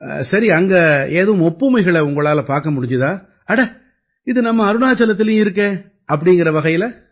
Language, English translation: Tamil, Well, you must have noticed some similarities there too, you would have thought that yes, it is the same in Arunachal too